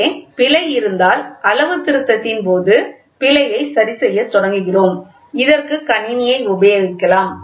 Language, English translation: Tamil, If there is error here, we start adjusting the error during the calibration, set the system, right on this